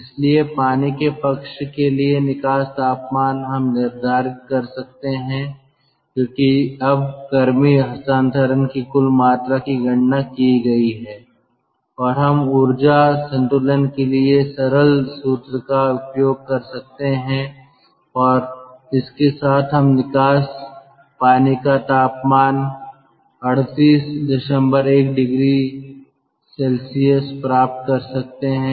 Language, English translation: Hindi, so the outlet temperature for water side we can determine, because now the total amount of heat transfer, that has been calculated and we can use this ah formula, simple formula for energy balance, and with that we can get the outlet water temperature is twenty, sorry, thirty eight point one degree celsius